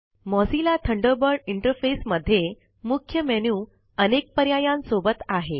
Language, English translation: Marathi, The Mozilla Thunderbird interface has a Main menu with various options